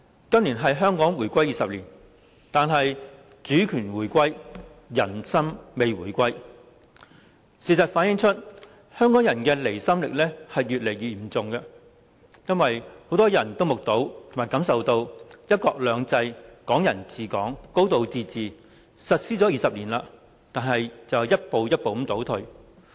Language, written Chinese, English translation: Cantonese, 今年是香港回歸20年，但主權回歸，人心未回歸，事實反映出，香港人的離心力越來越嚴重，因為很多人都目睹及感受到，"一國兩制"、"港人治港"、"高度自治"實施20年來一步步倒退。, This year marks the 20 anniversary of Hong Kongs return to China . Though Hong Kongs sovereignty has returned the hearts of the people have not . The fact is that Hong Kong people is increasingly at odds with the country for many people have observed the gradual regression of one country two systems Hong Kong people administering Hong Kong and a high degree of autonomy since their implementation 20 years ago